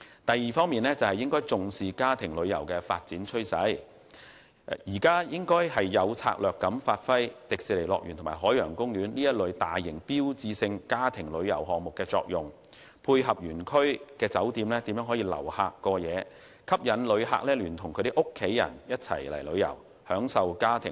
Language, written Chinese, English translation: Cantonese, 第二，應重視家庭旅遊的發展趨勢，有策略地發揮迪士尼樂園及海洋公園這一類大型標誌性家庭旅遊項目的作用，配合園區酒店留客過夜，吸引遊客舉家到港旅遊消費，盡享家庭樂。, Second the Government should attach importance to the development trend of family tourism and strategically give play to the role of large - scale family tourism attractions such as the Hong Kong Disneyland and the Ocean Park . The hotels in the amusement parks should be coordinated to receive overnight visitors . In this way more tourists will be attracted to travel to Hong Kong and spend money with their whole family here thereby maximizing the enjoyment of their families